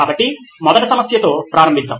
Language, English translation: Telugu, So let’s start with the first problem